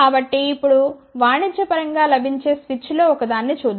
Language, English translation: Telugu, So, let us just now look at one of the commercially available switch